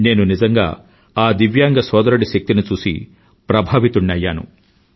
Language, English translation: Telugu, I was really impressed with the prowess of that divyang young man